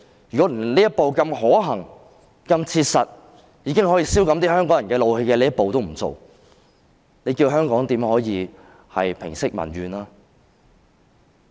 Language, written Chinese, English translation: Cantonese, 如果連這樣可行、切實及可消減香港人一點怒氣的一步也不走，你教人可如何平息民怨？, If even such a feasible practical step to alleviate a bit of rage among Hongkongers will not be taken tell me how can public resentment be allayed?